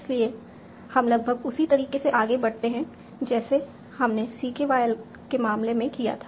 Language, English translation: Hindi, So we proceed nearly in the same manner as we did in the case of CKY